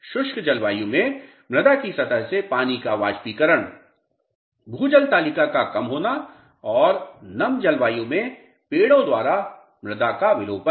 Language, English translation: Hindi, Evaporation of water from surface of the soil in dry climates; lowering of ground water table; and desiccation of soil by trees in humid climates